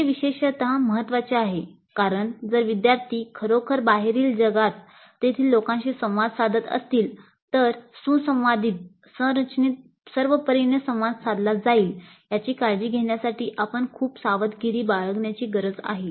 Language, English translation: Marathi, That is particularly important because if the students are really going into the outside world to interact with people there we need to be very careful to ensure that the interaction occurs along well directed structured lines